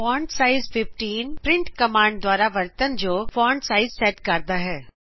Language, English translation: Punjabi, fontsize 18 sets the font size used by print command